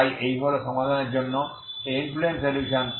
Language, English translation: Bengali, So this is the this is the influence solution for the solution